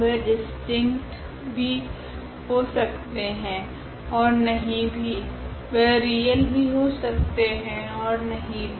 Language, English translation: Hindi, They may be distinct and they may not be distinct, they may be real, they may not be real so whatever